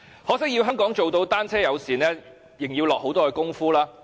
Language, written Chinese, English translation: Cantonese, 可惜，要香港做到單車友善，仍然要下很多工夫。, Unfortunately to truly achieve bicycle - friendliness Hong Kong still needs to expend a lot of efforts